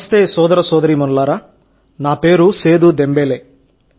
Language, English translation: Telugu, "Namaste, brothers and sisters, my name is Seedu Dembele